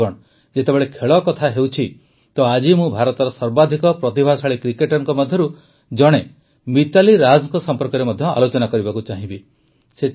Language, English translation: Odia, Friends, when it comes to sports, today I would also like to discuss Mithali Raj, one of the most talented cricketers in India